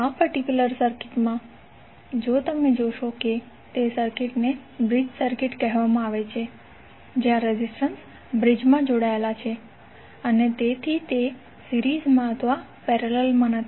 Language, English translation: Gujarati, Say in this particular circuit if you see the circuit is called a bridge circuit where the resistances are connected in bridge hence this is not either series or parallel